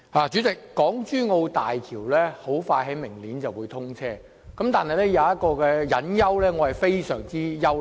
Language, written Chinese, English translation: Cantonese, 主席，港珠澳大橋即將於明年通車，但有一個隱憂，令我感到非常憂慮。, President the HongKong - Zhuhai - Macao Bridge HZMB will soon inaugurate next year but there is a concern that worries me